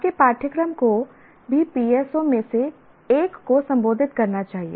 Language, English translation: Hindi, So what happens is your course should also address one of the PSO